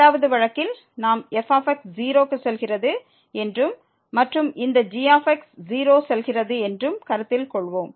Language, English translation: Tamil, In the 2nd case we will consider that goes to 0 and this goes to 0